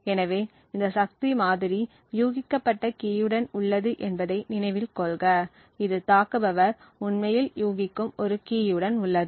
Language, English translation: Tamil, So, note that this power model is with a guessed key, this is with a key that the attacker actually guesses